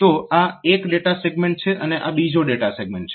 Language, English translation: Gujarati, So, this is one data segment and this is another data segment